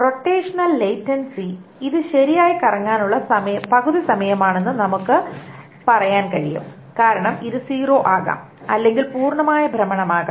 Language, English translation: Malayalam, The rotational latency is well we can say it's half the time to rotate on average because it can be either zero or it can be a complete rotation